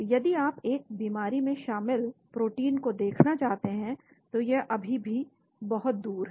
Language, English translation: Hindi, If you want to look at proteins involved in the disease, so that is still a long way off